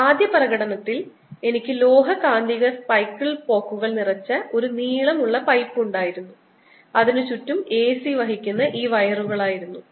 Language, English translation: Malayalam, in the first demonstrations i had this long pipe which was filed with metallic magnetic bicycle spokes and all around it were these wires carrying a c and this was connected to the mains